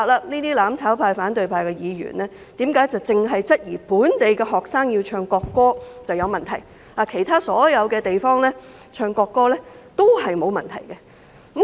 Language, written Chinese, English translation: Cantonese, 我不明白反對派和"攬炒派"議員為何只質疑要本地學生唱國歌是有問題，其他地方唱國歌則沒有問題。, I do not understand why Members from the opposition camp and the mutual destruction camp question the singing of the national anthem by local students but not the singing of national anthems in other places